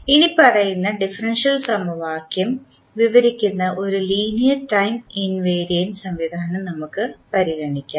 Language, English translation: Malayalam, So, let us consider one linear time invariant system which is described by the following differential equation